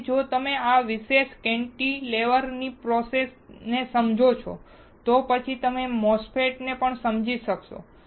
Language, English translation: Gujarati, Again if you understand the process of this particular cantilever then you will be able to understand MOSFETs as well